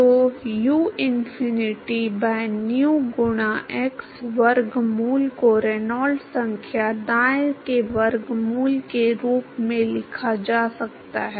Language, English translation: Hindi, So, uinfinity by nu into x square root can be written as square root of Reynolds number right